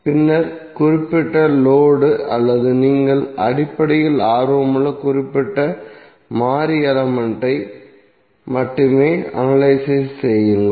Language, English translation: Tamil, And then analyze only that particular load or that particular variable element within which you are basically interested